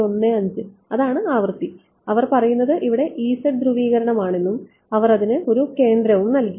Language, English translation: Malayalam, 15 that is the frequency and they are saying that is E z polarisation over here and they have given some centre for it ok